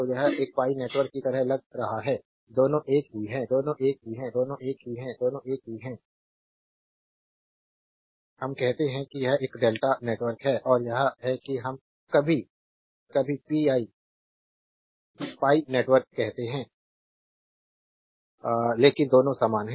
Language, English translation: Hindi, So, this is looks like a pi network both are same, both are same sometimes we call this is a delta network and this is we call sometimes pi network, but both are same both are same right